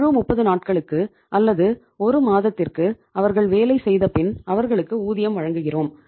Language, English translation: Tamil, They work for entire period of 30 days or 1 month and we pay them after 1 month